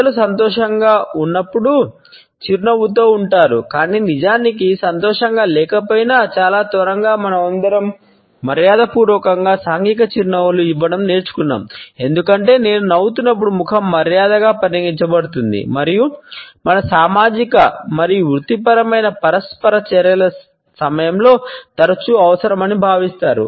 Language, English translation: Telugu, People normally smile when they are happy, but very soon all of us learned to pass on polite social smiles without exactly feeling happy, because as I smiling face is considered to be polite and often considered to be a necessity during all our social and professional interaction